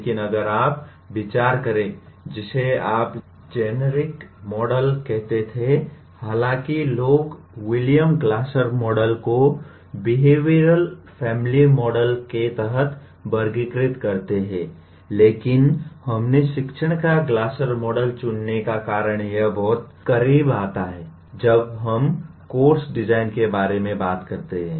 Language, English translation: Hindi, But if you consider what you may call was generic model though people classify William Glasser’s Model under behavioral family model but why we chose Glasser’s model of teaching is, it comes pretty close to what we are going to when we talk about course design, we are talking of ADDIE Model and this comes pretty close to that